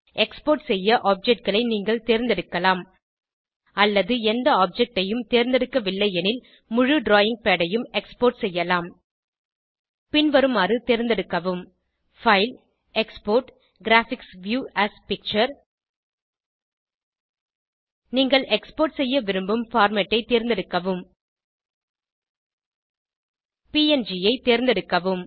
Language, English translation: Tamil, You can choose to select objects to export, or you may export the entire drawing pad if you dont select any of the objects Select menu option FileExport Graphics View as Picture Select the format of the file you want to export , let us select png